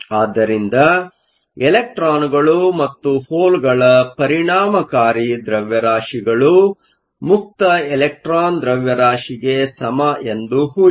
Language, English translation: Kannada, In this particular problem, it says the electron effective mass is 30 percent of the free electron mass